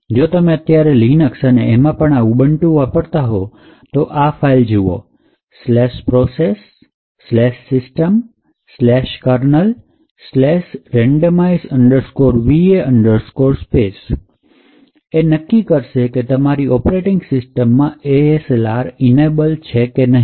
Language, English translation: Gujarati, So, if you are current Linux system especially in Ubuntu systems, you can look at this particular file, you can crack this file /proc/sys/kernel/randomize va space to determine whether your operating system has ASLR enabled or not